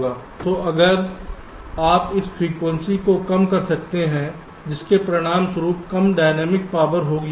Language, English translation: Hindi, so if you can reduce the frequency, that will also result in less dynamics power